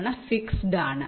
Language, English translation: Malayalam, they are fixed